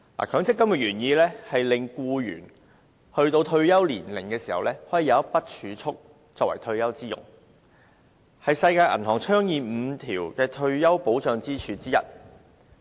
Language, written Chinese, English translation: Cantonese, 強積金的原意是令僱員到退休年齡時，可以有一筆儲蓄作退休之用，這是世界銀行倡議的5根退休保障支柱之一。, The original intent of MPF is to enable employees to have some savings at their disposal when they go into retirement . This is one of the five pillars of retirement protection advocated by the World Bank